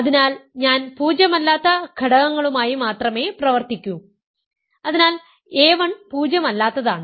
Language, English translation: Malayalam, So, I will only deal with non zero elements, so a 1 is non zero